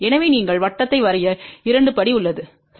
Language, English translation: Tamil, So, that is the step two that you draw the circle, ok